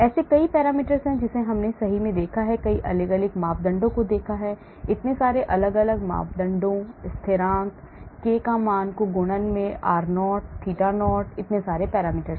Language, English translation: Hindi, There are many parameters we saw right, so many different parameters, so many different parameters, constants, k values in the multiplication, r0, theta 0 so many parameters